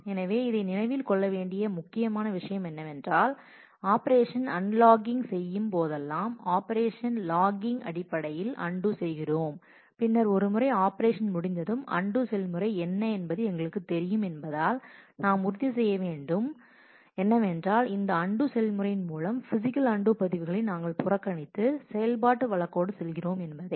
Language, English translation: Tamil, So, the critical thing to remember in this that whenever we are doing operation unlogging, we are doing undoing based on the operation logging then since once we get the operation ends since we know what the undo information is, we have to make sure that through the undo process we actually ignore the physical undo records that exist in the log and just go with the operation case